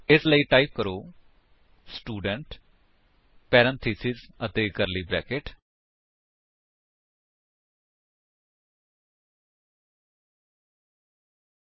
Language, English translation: Punjabi, So, type: Student S capital parenthesis and curly brackets